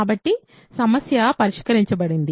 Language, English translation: Telugu, So, the problem is solved